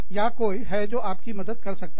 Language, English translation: Hindi, Or, have somebody, help you out